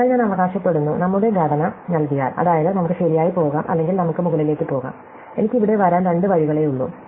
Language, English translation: Malayalam, So, I claim, that given our structure, which is, that we can go right or we can go up, there are only two ways I can come here